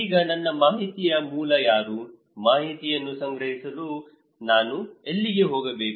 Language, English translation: Kannada, Now, who will be my source of information, where should I go for collecting informations